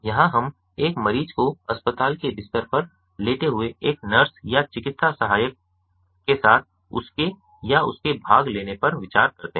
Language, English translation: Hindi, here we consider a patient lying on the hospital bed with a nurse or paramedic attending him or her